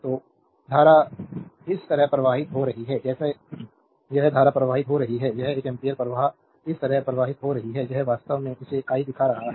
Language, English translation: Hindi, So, the current is flowing like this current is flowing this one ampere current is flowing like this, this is actually showing it this i